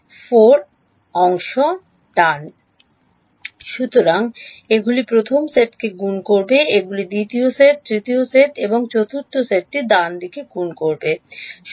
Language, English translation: Bengali, 4 parts right; so, these will multiply the first set, these will multiply the second set, third set and fourth set right